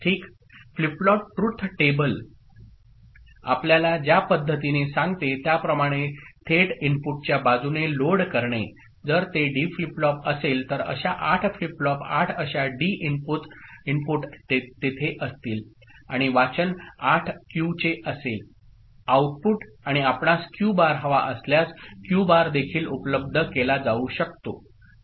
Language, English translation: Marathi, So, directly loading it from the input side the way the flip flop truth table tells us if it is D flip flop then, 8 such flip flops 8 such D inputs will be there and the reading will be from the 8 Q outputs and if you want Q bar, then Q bar also can be made available